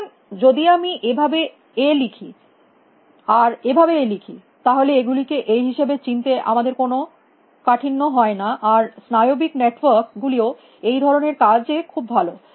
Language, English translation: Bengali, So, if I write A like this, if I write A like this, if I write A like this; we have no difficulty in recognizing that these are A and neural network is also very good at this sort of a thing